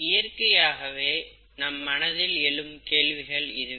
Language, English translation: Tamil, These would be the natural questions that come about, right